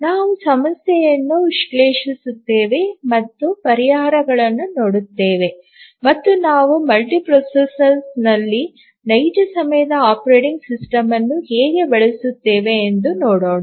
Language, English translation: Kannada, We will analyse the problem and see what the solutions are and then we will look at how do we use a real time operating system in a multiprocessor